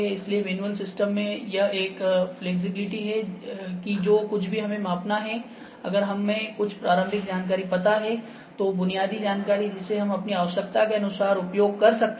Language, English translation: Hindi, So, in manual system, this is a big flexibility that whatever we need to measure if we know the some initial information, basic information we can use it accordingly, according to our requirement